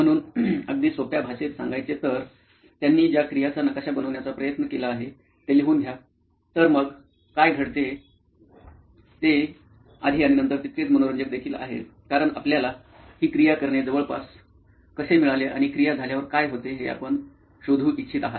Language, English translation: Marathi, So just to be very simple write down the activity that they are trying to map, so what happens before and after is also equally interesting because you want to find out how this person got around to doing this activity and what happens after the activity is done